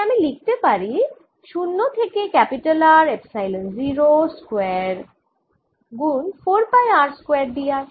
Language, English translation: Bengali, epsilon zero square r square times four pi r square d r